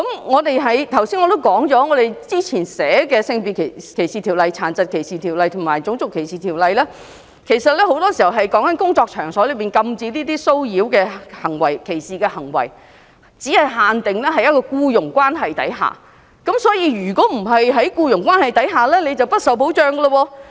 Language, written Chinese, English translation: Cantonese, 我剛才提到，現行的《性別歧視條例》、《殘疾歧視條例》及《種族歧視條例》訂明關於在工作場所禁止這些騷擾和歧視的行為，但很多時候只限定在僱傭關係下，所以，如果不是在僱傭關係下便不受保障。, Just now I said that the existing Sex Discrimination Ordinance Disability Discrimination Ordinance and Race Discrimination Ordinance expressly provide against acts of harassment and discrimination in workplace . However these provisions are often applicable to people under employment only . So people not under employment are not protected